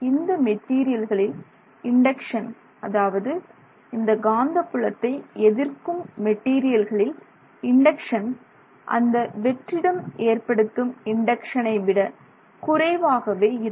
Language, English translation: Tamil, So, the induction for those materials which are opposing the magnetic field is less than what the vacuum is holding at that location